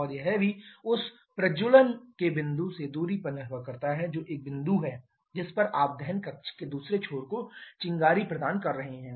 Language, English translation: Hindi, And also it depends on the distance from the point of ignition that is a point at which you are providing the spark to the other end of the combustion chamber